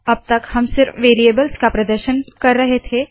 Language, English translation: Hindi, Until now we have been displaying only the variables